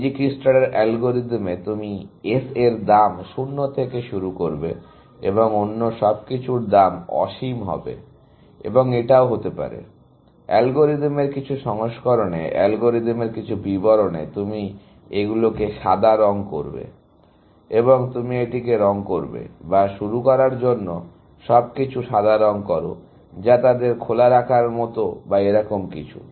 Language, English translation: Bengali, In Dijikistra’s algorithm, you would initialize S to cost 0, and everything else to cost infinity, and maybe, in some versions of the algorithm, some description of the algorithm, you will color them white, and you will color this; or color everything white to start with, which is like putting them on open, or something like that, and pick one node from there